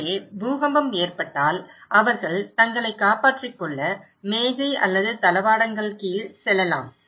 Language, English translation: Tamil, So, if there is an earthquake, they can go under desk or furniture to protect themselves